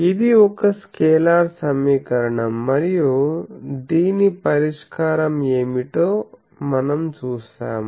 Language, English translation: Telugu, So, this equation is a scalar equation and we saw that what is it solution